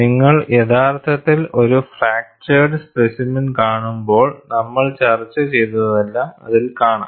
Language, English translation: Malayalam, And when you actually see a fractured specimen, whatever we have discussed, is seen in that